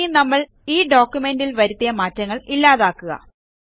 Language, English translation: Malayalam, Now lets undo the change we made in the document